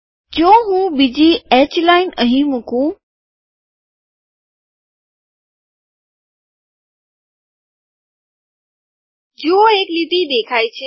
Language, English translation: Gujarati, If I put another h line here, see a line has come